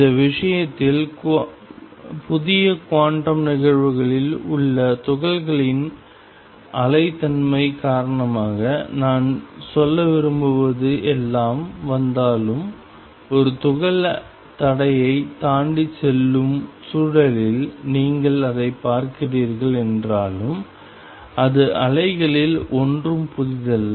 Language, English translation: Tamil, This case, all I want to say because of the wave nature of the particle in new quantum phenomena come although you are seeing it in the context of a particle going across the barrier it is nothing new in waves